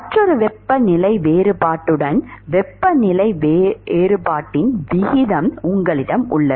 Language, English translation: Tamil, You have a ratio of temperature difference with another temperature difference